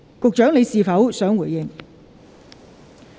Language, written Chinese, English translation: Cantonese, 局長，你是否想回應？, Secretary do you wish to reply?